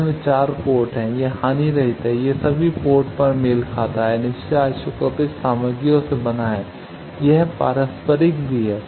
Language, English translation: Hindi, It has 4 port, it is lossless, it is matched at all ports, made of passive isotropic materials, it is reciprocal